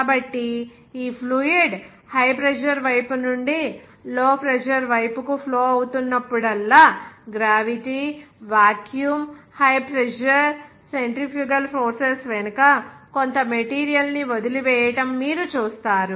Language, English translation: Telugu, So whenever this fluid is flowing from the high pressure side to the low pressure side, you will see that leaving some material behind the gravity, vacuum, high pressure, centrifugal forces